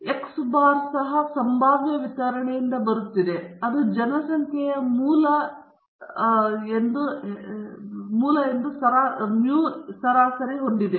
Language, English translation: Kannada, x bar is also coming from a probability distribution which is having the same mean mu as the parent population okay